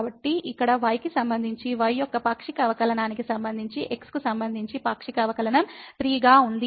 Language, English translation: Telugu, So, we have the partial derivative with respect to as to partial derivative of with respect to here as 3